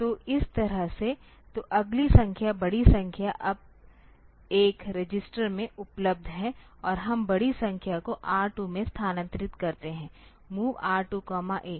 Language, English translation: Hindi, So, that way, so the next number the larger number is now available in a register and we move the larger number to R 2 move R 2 comma A